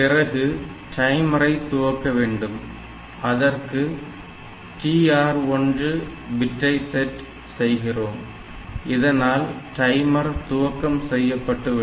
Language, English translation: Tamil, Then so we have to start the timer, so we say set bit TR 1, so set bit TR 1